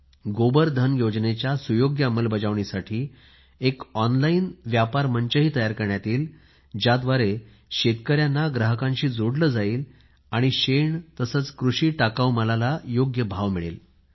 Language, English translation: Marathi, An online trading platform will be created for better implementation of 'Gobar Dhan Yojana', it will connect farmers to buyers so that farmers can get the right price for dung and agricultural waste